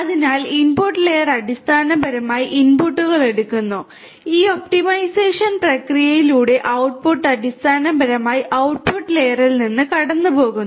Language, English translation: Malayalam, So, input layer basically takes the inputs, the output through this you know this optimization process is basically passed from the output layer